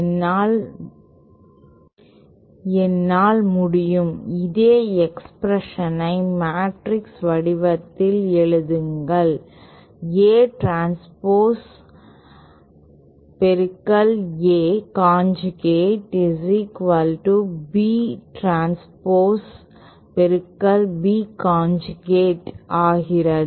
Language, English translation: Tamil, I can write this same expression in matrix form as A transpose multiplied by A conjugate is equal to B transpose times B conjugate